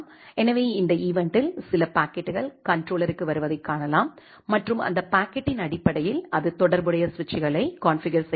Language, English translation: Tamil, So, this event you can see certain packets are coming to the controller and based on that packet, it is configuring the corresponding switches